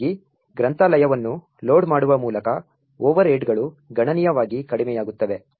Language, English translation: Kannada, Thus, the overheads by loading the library is reduced considerably